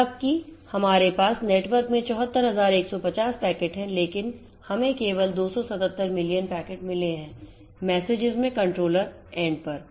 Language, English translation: Hindi, So, although we have 74150 packets in the network, but we have got only 277 packet in messages at the contravariant